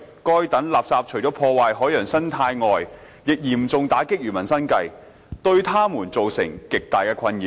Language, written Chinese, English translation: Cantonese, 該等垃圾除了破壞海洋生態外，亦嚴重打擊漁民生計，對他們造成極大困擾。, Such refuse has not only damaged marine ecology but also seriously affected the livelihood of fishermen causing great nuisances to them